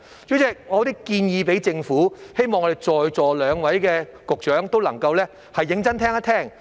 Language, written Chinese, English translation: Cantonese, 主席，我有一些建議給政府，希望我們在席兩位局長都能夠認真聆聽。, President I have some suggestions for the Government and hope that the two Secretaries present seriously listen to them